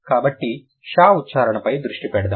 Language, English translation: Telugu, Let's focus on the pronunciation